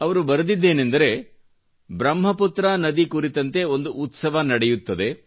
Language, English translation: Kannada, He writes, that a festival is being celebrated on Brahmaputra river